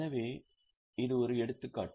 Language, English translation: Tamil, So, this is an example